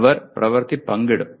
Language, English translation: Malayalam, They will share the work